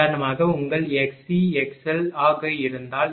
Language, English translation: Tamil, So, for example, if your x c become x l